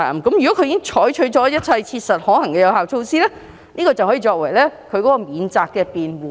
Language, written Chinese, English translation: Cantonese, 如果他們已採取一切切實可行的有效措施，則屆時可以此作為免責辯護。, If they have taken all reasonably practicable steps they can then use it as a defence